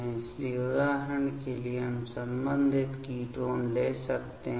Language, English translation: Hindi, So, for example we can take the corresponding ketones ok